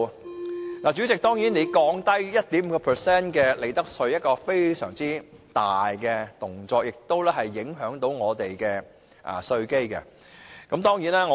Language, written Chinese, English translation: Cantonese, 代理主席，利得稅稅率降低 1.5% 是一個非常大的動作，會影響我們的稅基。, Deputy President to lower the profits tax rate by 1.5 % is a major move that will affect our tax base